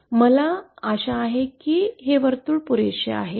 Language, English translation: Marathi, I hope this circle is pretty enough